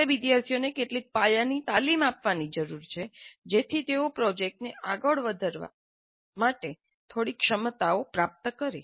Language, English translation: Gujarati, So we need to provide some basic training to the students so that they get some minimal competencies to carry out the project